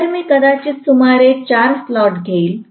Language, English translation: Marathi, So, let me take maybe about 4 slots